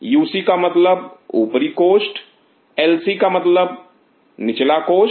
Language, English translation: Hindi, UC stand for Upper chamber; LC stand for Lower chamber